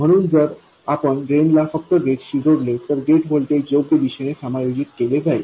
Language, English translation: Marathi, So if we simply connect the drain to the gate, the gate voltage will be adjusted in the correct direction